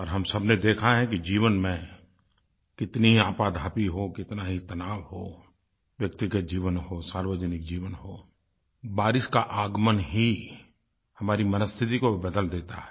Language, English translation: Hindi, One has seen that no matter how hectic the life is, no matter how tense we are, whether its one's personal or public life, the arrival of the rains does lift one's spirits